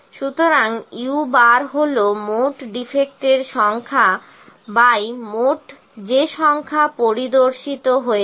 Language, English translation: Bengali, So, u bar is the total number of defects by total number of pieces those are inspected